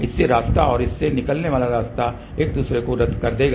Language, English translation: Hindi, Path from this and path from this will cancel each other